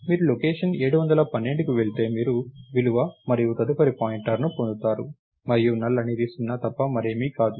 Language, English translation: Telugu, If you go to location 7, 12, you get the value and next pointer, and null is nothing other than 0